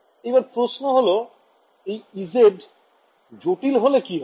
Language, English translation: Bengali, Now the question is this, if we make e z to be complex